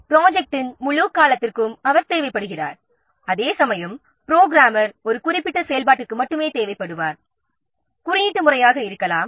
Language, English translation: Tamil, He is required for the whole duration of the project whereas the programmer he will be required only for a specific activity, maybe the coding